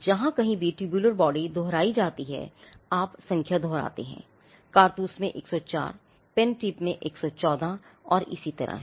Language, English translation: Hindi, Wherever tubular body is repeated, you repeat the number, in cartridge is 104, pen tip is 114 and so on